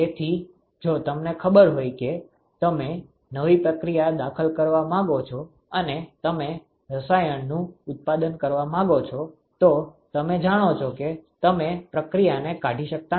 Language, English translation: Gujarati, So, if you know that you want to introduce a new process you want to increase manufacture of new chemical you know you cannot dismantle the process